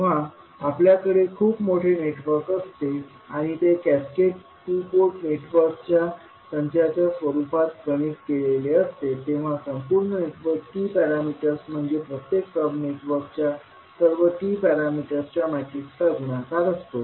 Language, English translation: Marathi, So whenever we have very large network and it is connected as a set of cascaded two port networks, the T parameter of overall network would be the multiplication of all the T parameters matrices of individual sub networks